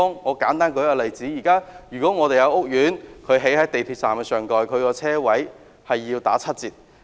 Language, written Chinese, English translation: Cantonese, 我舉一個簡單例子，一個港鐵站上蓋屋苑興建的車位數目需要打七折。, Let me give a simple example . It is provided in HKPSG that the number of parking spaces to be provided for the residential development above the MTR station has to be discounted by 30 %